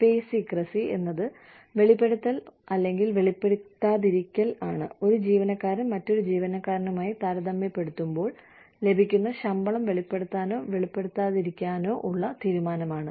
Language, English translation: Malayalam, Pay secrecy is, the disclosure or non disclosure, the decision to disclose or not disclose, the salary that, one employee is getting, to another employee